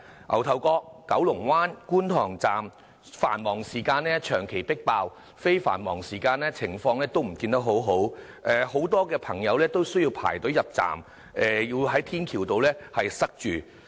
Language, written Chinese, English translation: Cantonese, 牛頭角、九龍灣和觀塘站在繁忙時間長期迫爆，非繁忙時間的情況也不見得很好，很多朋友需要排隊入站，人龍更塞到天橋上。, In peak hours the MTR stations in Ngau Tau Kok Kowloon Bay and Kwun Tong are always overcrowded with long queues of awaiting passengers stretching back to adjacent footbridges . The situation is not any better even during off - peak hours